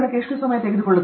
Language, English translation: Kannada, How much time it takes